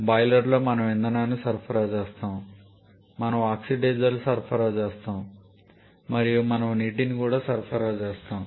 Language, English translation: Telugu, So, in the boiler we supply fuel, we supply oxidizer and we also supply water